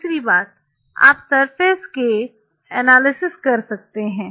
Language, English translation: Hindi, Second thing what you can do to analyze the surface